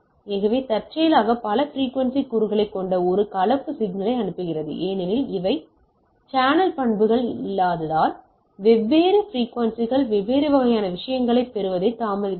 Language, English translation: Tamil, So, let us see, I send a composite signal which has number of frequency component incidentally, because of this channel characteristics that is the channel properties the different frequencies get different type of say delayed of reaching the things